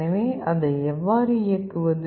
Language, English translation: Tamil, So, how do you power it